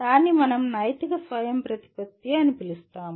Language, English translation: Telugu, That is what we call moral autonomy